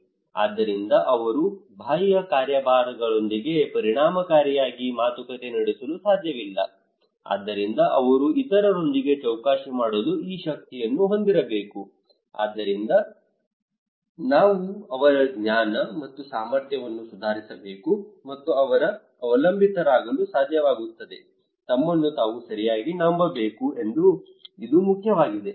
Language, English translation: Kannada, Therefore they cannot effectively negotiate with the external agencies so they should have these power to bargain with the other so that we should improve their knowledge and capacity also they should be able to depend, trust themselves okay, this is important